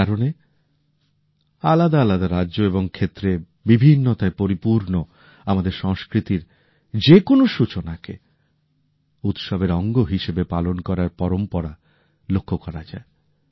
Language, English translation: Bengali, That is the reason it has been a tradition to observe any new beginning as a celebration in different states and regions and in our culture full of diversity